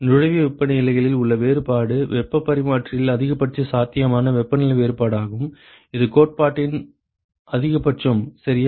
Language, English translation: Tamil, The difference in the inlet temperatures is the maximum possible temperature difference in the heat exchanger, that is the theoretical maximum ok